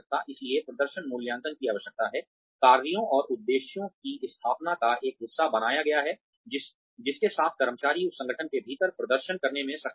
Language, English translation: Hindi, So, performance appraisals needs to be, made a part of the setting of tasks and objectives, in line with, how the employee has been able to perform within that organization